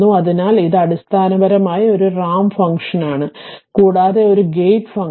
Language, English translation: Malayalam, So, it is basically a ramp function and your another thing is that is a gate function right